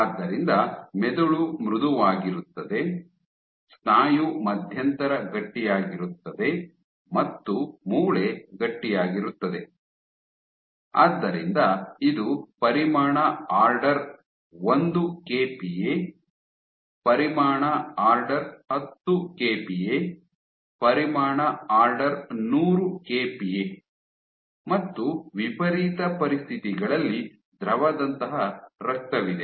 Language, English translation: Kannada, So, brain being soft, muscle being intermediate stiffness bone being stiff, so this is order 1 kPa, order 10 kPa, order 100 kPa; and in the extreme you have blood which is fluid like